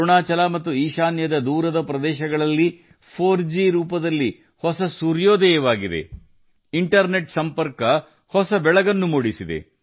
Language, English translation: Kannada, There has been a new sunrise in the form of 4G in the remote areas of Arunachal and North East; internet connectivity has brought a new dawn